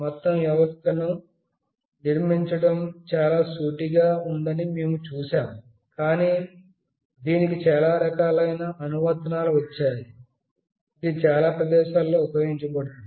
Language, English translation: Telugu, We have seen that the building the whole system is fairly very straightforward, but it has got such a variety of application, it could be used in so many places